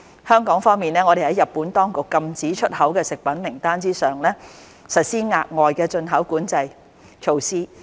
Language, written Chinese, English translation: Cantonese, 香港方面，我們在日本當局禁止出口的食品名單之上，實施額外的進口管制措施。, As for Hong Kong the import control measures are extra control on top of the list of food products prohibited from export from Japan